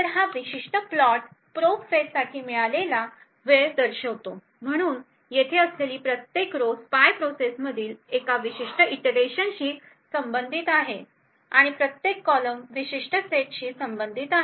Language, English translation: Marathi, obtained for the probe phase, so each row over here corresponds to one particular iteration in the spy process and each column corresponds to a particular set